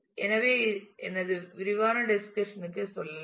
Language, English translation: Tamil, So, let me move to my detailed discussion